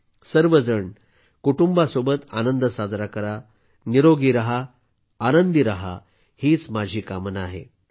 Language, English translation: Marathi, I wish you all celebrate with joy, with your family; stay healthy, stay happy